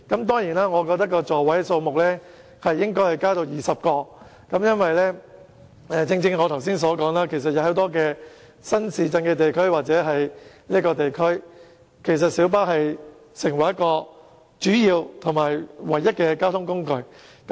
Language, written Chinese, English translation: Cantonese, 當然，我認為座位數目應該增至20個，因為正如我剛才所說，在很多屬於新市鎮的地區，公共小巴是它們主要或唯一的交通工具。, Of course I hold that the seating capacity should be increased to 20 . As I mentioned just now in many areas of new towns PLBs serve as the major or only transport mode